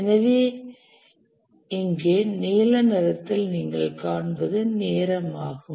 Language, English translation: Tamil, So, the one that you see in the blue here, this is the duration